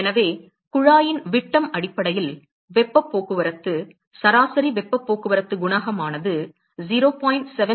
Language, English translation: Tamil, So, the heat transport average heat transport coefficient based on the diameter of the tube that is given by 0